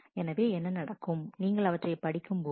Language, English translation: Tamil, So, what will happen you will read